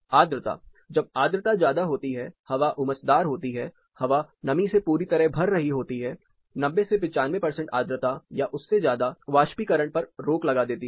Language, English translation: Hindi, Humidity, when the humidity is really high it is sultry the air is getting saturated 90 95 percent humidity or even more it restricts the amount of evaporation that can happen